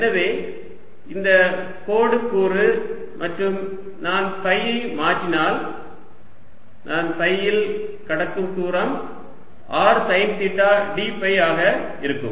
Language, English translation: Tamil, and if i change phi, the distance i cover in phi is going to be r sine theta d phi